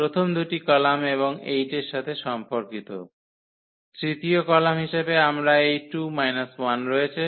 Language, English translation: Bengali, First two columns and the corresponding to 8; we have this 2 minus 1 as a third column